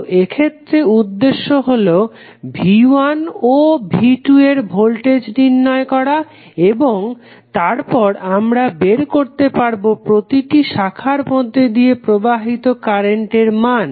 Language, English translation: Bengali, So, in this case the objective is to find the voltages of V 1 and V 2, when we get these values V 1 and V 2